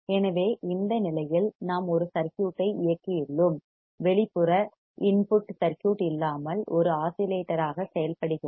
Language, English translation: Tamil, So, in this condition, we have driven a circuit and without external input circuit works as an oscillator